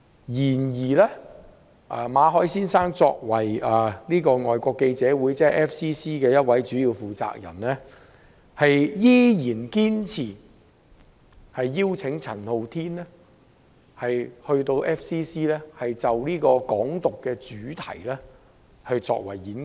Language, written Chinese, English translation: Cantonese, 然而，馬凱先生作為香港外國記者會的主要負責人之一，在8月依然堅持邀請陳浩天到 FCC 就"港獨"作演講。, In August however Mr MALLET one of the main persons - in - charge of the Foreign Correspondents Club Hong Kong FCC insisted on inviting Andy CHAN to speak on Hong Kong independence at FCC